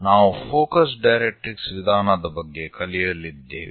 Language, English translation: Kannada, And we are going to learn about focus directrix method